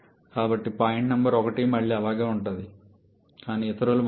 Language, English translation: Telugu, So, point number 1 again remains the same but others have changed